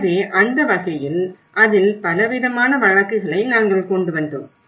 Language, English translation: Tamil, So in that way, we brought a variety of cases in it